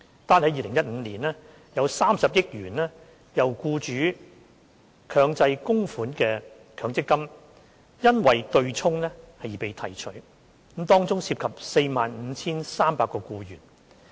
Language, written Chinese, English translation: Cantonese, 單在2015年，有30億元由僱主強制供款的強積金因對沖而被提取，當中涉及 45,300 名僱員。, In 2015 alone 3 billion of MPF benefits derived from employers mandatory contributions was withdrawn owing to offsetting involving 45 300 employees